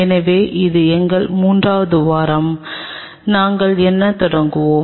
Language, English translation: Tamil, So, this is our third week what we will be initiating